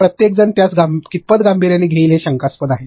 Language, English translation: Marathi, But then how much seriously everybody will take it its questionable